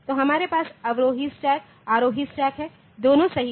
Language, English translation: Hindi, So, we have got descending stack we have got ascending stack, both are correct